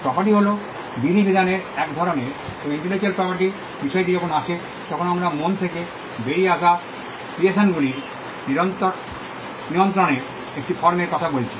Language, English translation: Bengali, Property is a form of regulation, and when it comes to intellectual property, we are talking about a form of regulation of creations that come out of the mind